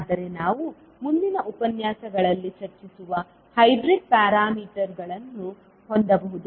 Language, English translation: Kannada, But we can have the hybrid parameters which we will discuss in the next lectures